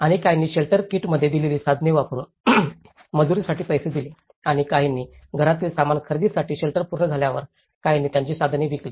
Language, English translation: Marathi, And some paid for the labour in kind using the tools they were given in the shelter kit and some sold their tools once shelters were complete to buy household furnishings